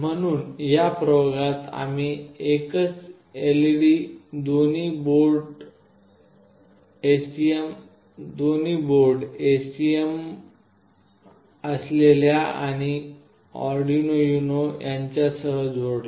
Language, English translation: Marathi, So in this experiment we have connected a single LED to both the boards that is STM and with Arduino UNO